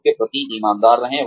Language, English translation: Hindi, Be honest to yourself